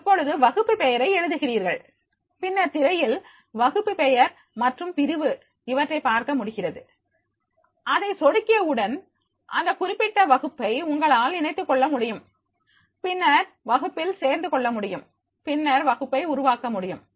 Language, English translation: Tamil, Now here you have to write the class name and then in the screenshot you are able to see that is yet to see the class name and the section, and as soon as you click here and as soon as you click their then you will be able to join this particular class right and then in that join the class and then create a class